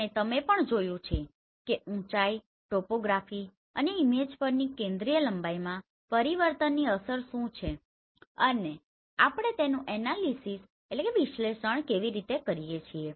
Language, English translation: Gujarati, And you have also seen what is the effect of height, topography and change in the focal length on the image and how do we analyze them